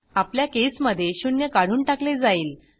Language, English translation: Marathi, In our case, zero will be removed